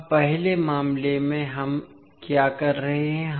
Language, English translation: Hindi, Now in first case, what we are doing